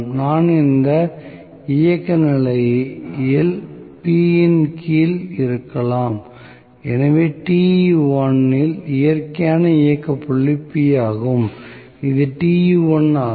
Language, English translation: Tamil, May be I was under this operating condition P, so, natural operating point at Te1 is P, so, this is Te1